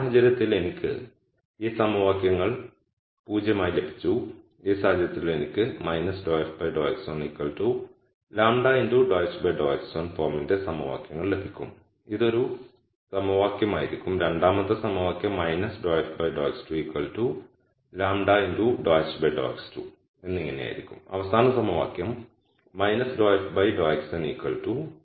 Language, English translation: Malayalam, In this case I got these equations to be 0 in this case I am going to get equations of the form minus dou f dou x 1 equals lambda dou h dou x 1 will be one equation, the second equation will be minus dou x 2 equals lambda dou h dou x 2 and so on, the last equation will be minus dou f duo x n equals lambda h dou x n